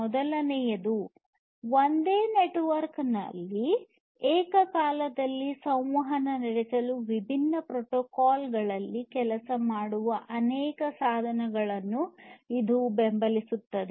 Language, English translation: Kannada, The first one is that it supports multiple devices working on different protocols to interact in a single network simultaneously